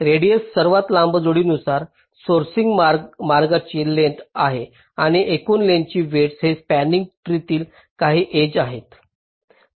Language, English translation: Marathi, radius is the length of the longest pair wise sourcing path, and cost is the total edge weight, some of the edges in this spanning tree